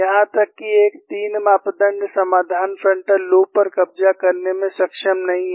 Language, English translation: Hindi, Even a 3 parameter solution is not able to capture the frontal loops